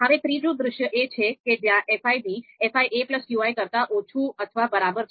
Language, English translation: Gujarati, Now the third scenario is if the fi b is less than or equal to fi a plus qi